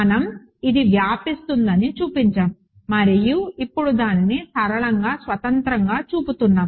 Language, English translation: Telugu, We showed that its spans and now we are showing that it is linearly independent